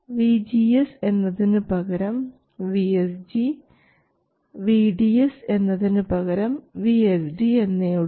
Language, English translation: Malayalam, Now I will use VGS as the variable instead of VSD